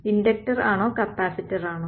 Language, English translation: Malayalam, Inductor or capacitor right